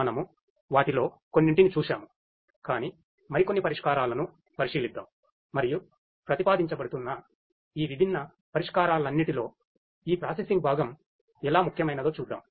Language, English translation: Telugu, We have gone through quite a few of them, but let us look at a few more solutions and see how this processing component is becoming important in all of these different solutions that are being proposed